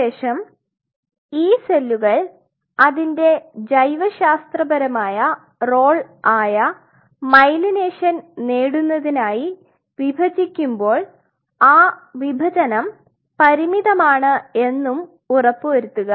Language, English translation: Malayalam, But then one has to ensure these cells which in order to achieve its biological role of forming the myelination where it has to divide this division has to be finite